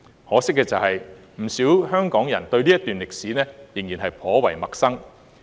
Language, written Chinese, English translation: Cantonese, 可惜的是，不少港人對這段歷史仍然頗為陌生。, Unfortunately many Hong Kong people are still quite unfamiliar with this piece of history